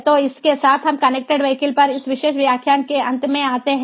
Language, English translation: Hindi, now we start a new lecture, which is on connected vehicles